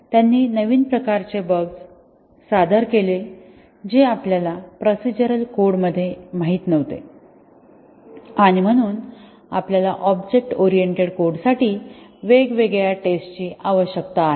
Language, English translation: Marathi, They introduced new types of bug which you were not aware in procedural code and therefore, we need different testing for object oriented code